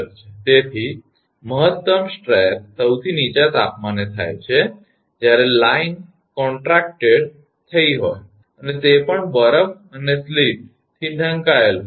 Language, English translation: Gujarati, So, maximum stress occurs at the lowest temperature, when the line has contracted and is also possibly covered with ice and sleet right